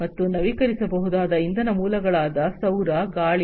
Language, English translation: Kannada, And renewable energy sources like you know solar, wind etc